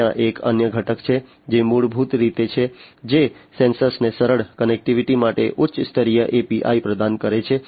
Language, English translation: Gujarati, There is another component, which is basically, which provides high level APIs for easier connectivity to the sensors